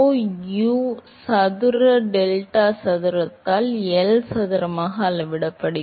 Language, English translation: Tamil, So, therefore, deltaPy that is scales as rho U square delta square by L square